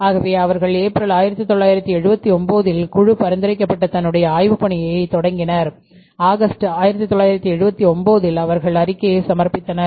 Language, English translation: Tamil, So, they studied the committee was established in April, 1979 and they gave their report in August, 1979 and their observations were also as follows